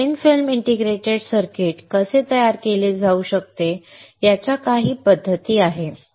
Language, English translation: Marathi, So, these are some of the methods of how the thin film integrated circuit can be fabricated